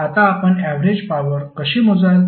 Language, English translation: Marathi, Now, how you will calculate average power